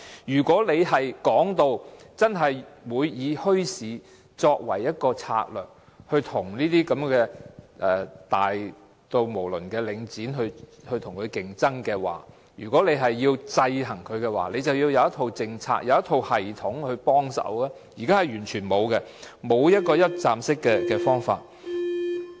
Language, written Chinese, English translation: Cantonese, 如果說會以墟市作為一種策略，從而與規模如此龐大的領展競爭，又或如果希望制衡它，政府便需要有一套政策和系統，但現時卻完全沒有，缺乏一站式的方法。, If bazaars are proposed to be used as a strategy to compete with Link REIT which is so enormous in scale or in order to check Link REIT the Government will need to have in place a policy and a system but there is none now and a one - stop approach is lacking